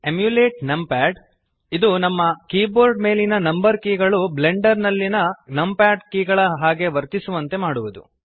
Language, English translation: Kannada, Emulate numpad will make the number keys on your keyboard behave like the numpad keys in Blender